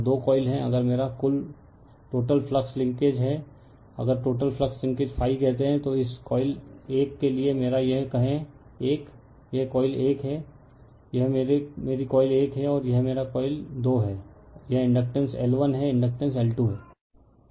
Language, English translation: Hindi, And two coils are there so, if my total flux linkage, if total flux linkages say my phi say this phi 1 for this coil 1, this is coil 1, this is my coil 1, and this is my coil 2, this inductance is L 1, inductance is L 2